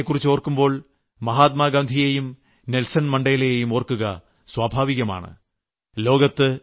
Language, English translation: Malayalam, When we think of South Africa, it is very natural to remember Mahatma Gandhi and Nelson Mandela